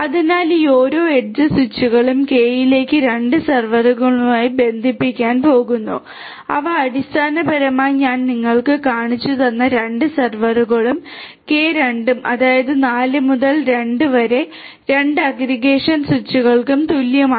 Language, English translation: Malayalam, So, each of these edge switches are going to connect to k by 2 servers which are basically the 2 servers that I had shown you and k by 2; that means, 4 by 2 equal to 2 aggregation switches